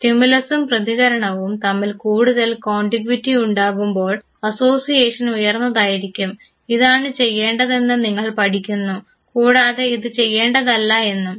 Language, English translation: Malayalam, More and more there is a contiguity between the stimulus and the response higher is the association, you learn exactly this is what is doable and this is what is not